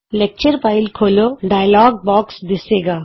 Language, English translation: Punjabi, The Open Lecture File dialogue box appears